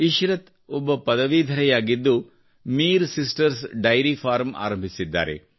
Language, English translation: Kannada, Ishrat, a graduate, has started Mir Sisters Dairy Farm